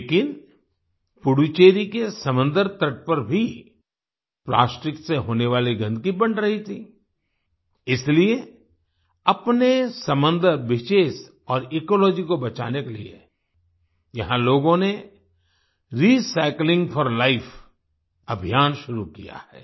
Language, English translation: Hindi, But, the pollution caused by plastic was also increasing on the sea coast of Puducherry, therefore, to save its sea, beaches and ecology, people here have started the 'Recycling for Life' campaign